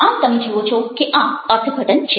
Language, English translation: Gujarati, so you see that, ah, this is interpretation